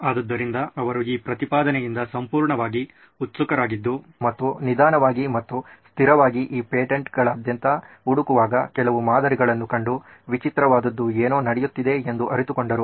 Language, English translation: Kannada, So he was totally excited by this proposition and slowly and steadily he started realizing that there was something strange going on that he actually found out certain patterns across this patents